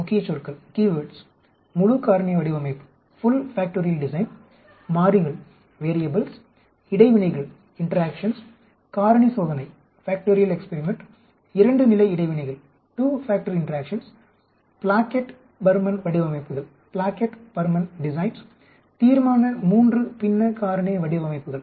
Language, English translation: Tamil, Key words Full Factorial Design, variables, Interactions, factorial experiment, two factor interactions, Plackett Burman Designs, Resolution III Fractional Factorial Designs